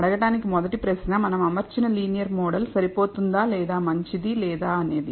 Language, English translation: Telugu, The first question to ask is whether the linear model that we have fitted is adequate or not, Is good or not